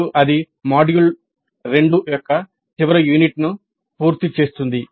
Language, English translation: Telugu, Now that completes the last unit of module 2